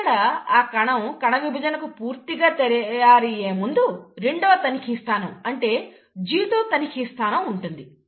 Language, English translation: Telugu, And, before the cell commits itself to the actual cell division, you have the second check point, which is the G2 check point